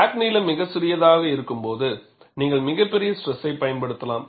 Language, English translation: Tamil, When the crack length is very small, you could apply a very large stress